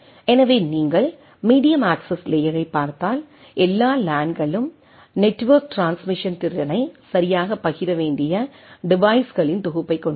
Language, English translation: Tamil, So, if you look at the medium access layer so all LANs consist of a collection of devices that must share network transmission capacity right